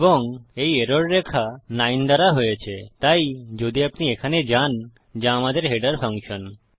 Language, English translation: Bengali, And this error has been generated by line 9, which if you go here, is our header function